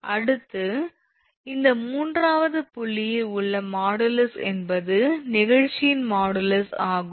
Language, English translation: Tamil, Next, is modulus of in this third point is ours that modulus of elasticity